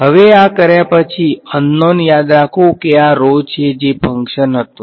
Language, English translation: Gujarati, Now having done this remember are unknown was this rho which was a function